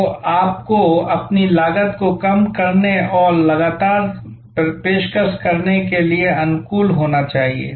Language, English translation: Hindi, So, you need to be adapt at continuously lowering your cost and continuously offering